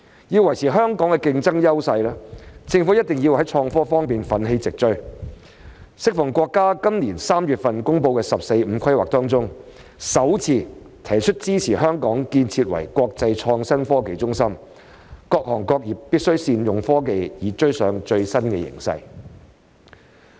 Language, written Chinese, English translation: Cantonese, 要維持香港的競爭優勢，政府—定要在創科方面奮起直追，適逢國家在今年3月公布的"十四五"規劃中，首次提出支持香港建設為國際創新科技中心，各行各業必須善用科技以追上最新形勢。, In order to maintain Hong Kongs competitive edge the Government has to catch up in the area of innovation and technology and this is the first time that the Central Government has proposed to support Hong Kongs development as an international innovation and technology hub in the 14th Five - Year Plan announced in March this year so all industries must make good use of technology to keep abreast of the latest trend